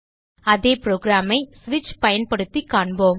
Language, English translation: Tamil, We will see the same program using switch